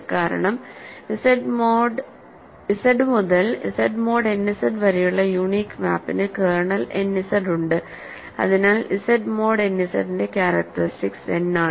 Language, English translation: Malayalam, So, the reason is that the unique map from Z to Z mod n Z has kernel n Z so, the characteristic of Z mod n Z is n